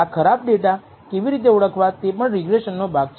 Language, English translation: Gujarati, How to identify such outliers or bad data is also part of the regression